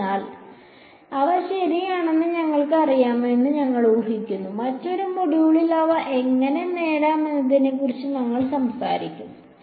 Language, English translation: Malayalam, So, we are just assuming that we know them ok, in another module we will talk about how to derive them